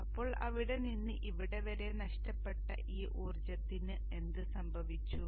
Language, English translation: Malayalam, So what has happened to all this energy lost from here to here